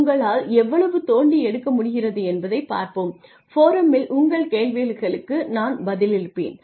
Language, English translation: Tamil, Let us see how much you can dig out and I will respond to your queries on the forum